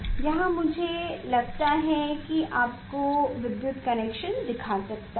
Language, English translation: Hindi, here electrical connection I think I can show you